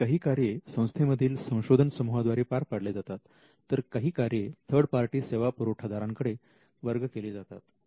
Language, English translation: Marathi, Some functions are done by the team, there internally other functions are delegated to a third party service provider